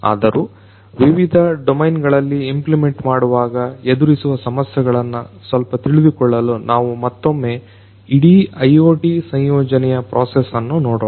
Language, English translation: Kannada, But still for completeness sake for getting a bit of idea about implementation issues in different different domains, let us still have a relook at the entire process of integration of IoT